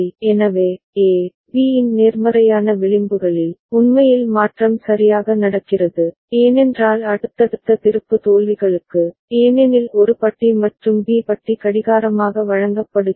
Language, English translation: Tamil, So, at positive edges of A, B, actually transition are happening ok, because for the subsequent flip flops, because A bar and B bar are fed as clock